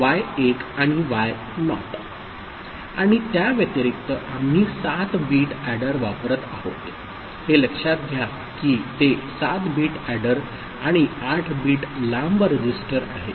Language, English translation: Marathi, And in addition to that we are using a 7 bit adder, note that it is a 7 bit adder and a register which is 8 bit long